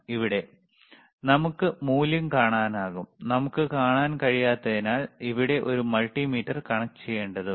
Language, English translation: Malayalam, Here we can also see the value, while here we cannot see right because we have to connect a multimeter here